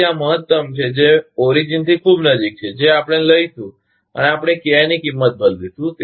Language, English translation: Gujarati, So, this is maximum which is very close to the origin, that we will take and we will change the value of KI